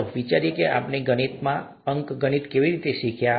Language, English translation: Gujarati, Let us think about how we learnt arithmetic, in mathematics